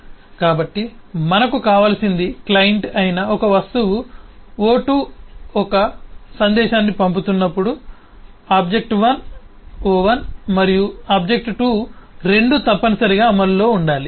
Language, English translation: Telugu, so what we need is when object one, who is the client, is sending a message to an object o2, then both object o1 and o2 must be in execution